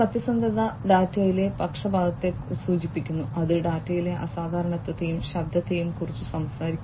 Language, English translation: Malayalam, Veracity indicates the biasness in the data and it talks about the unusualness and noise in the data